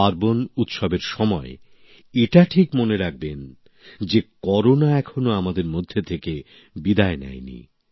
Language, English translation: Bengali, At the time of festivals and celebrations, you must remember that Corona has not yet gone from amongst us